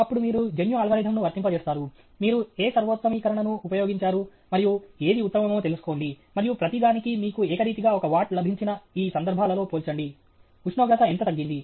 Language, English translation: Telugu, Then, you do your genetic algorithm, what have you used up whatever optimization, and find out what is the best, and compare to this case where your got uniform one watt for everything how much is the temperature decreased okay